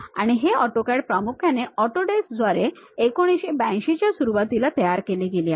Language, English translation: Marathi, And this AutoCAD is mainly first created by Autodesk, as early as 1982